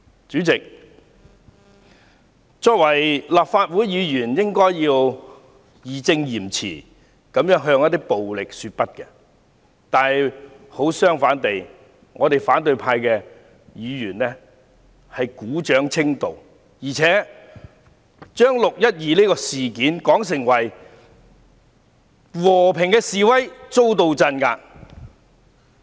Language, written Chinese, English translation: Cantonese, 主席，作為立法會議員，應該要義正詞嚴地向暴力說不，可是，反對派議員卻鼓掌稱道，而且將"六一二"事件說成是和平示威遭到鎮壓。, President as Members of the Legislative Council we should strictly say no to violence . However opposition Members applaud violence and they describe the 12 June incident as the suppression of a peaceful protest